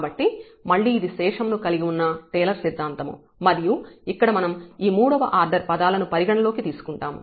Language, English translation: Telugu, So, again this is the Taylor’s theorem including this remainder term and we have considered these third order terms here